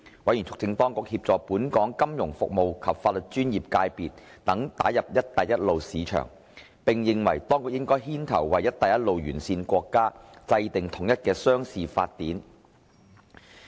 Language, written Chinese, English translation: Cantonese, 委員促請當局協助本港金融服務及法律專業界別等打入"一帶一路"市場，並認為當局應牽頭為"一帶一路"沿線國家制定統一的商事法典。, Members urged the authorities to assist Hong Kongs financial services sector and the legal profession to tap the Belt and Road markets . Members opined that the authorities should take the lead to formulate a uniform commercial code for the Belt and Road countries